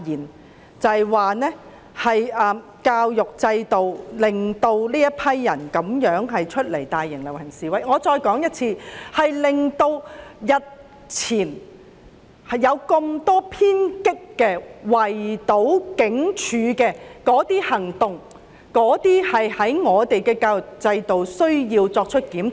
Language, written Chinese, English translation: Cantonese, 我再說一次，我認為教育制度令年輕人走出來參與大型遊行示威，以及作出日前多宗偏激的、圍堵警署的行動，我們應檢討教育制度。, Let me reiterate . I think the education system has driven young people to take part in large - scale procession and demonstration and resort to radical actions such as besieging the police station the other day . We should therefore review the education system